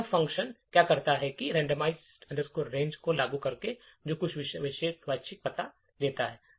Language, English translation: Hindi, So, what this function does is invoke this randomize range which returns some particular random address